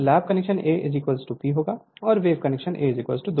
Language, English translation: Hindi, So, for lap connection A is equal to P, and for wave connection A is equal to 2 right